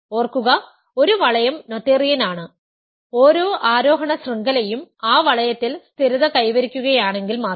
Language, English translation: Malayalam, Remember, a ring is noetherian, if and only if every ascending chain of ideals stabilizes in that ring